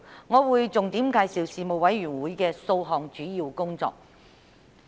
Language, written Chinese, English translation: Cantonese, 我會重點介紹事務委員會的數項主要工作。, I will focus on several major aspects of the Panels work